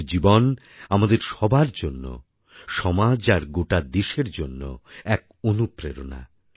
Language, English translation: Bengali, His life is an inspiration to us, our society and the whole country